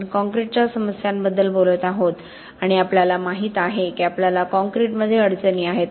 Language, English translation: Marathi, We have been talking about problems with concrete and we know we have difficulties with concrete